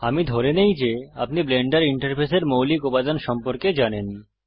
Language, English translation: Bengali, I assume that you know the basic elements of the Blender interface